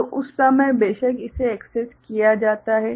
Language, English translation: Hindi, So, at that time your of course this is accessed, this is accessed